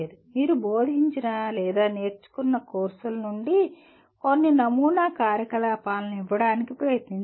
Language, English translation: Telugu, From the courses that you have taught or learnt, try to give some sample activities